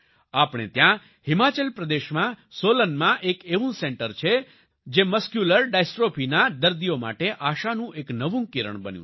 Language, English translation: Gujarati, We have such a centre at Solan in Himachal Pradesh, which has become a new ray of hope for the patients of Muscular Dystrophy